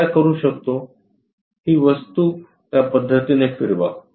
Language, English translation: Marathi, What we can do is; turn this object in that way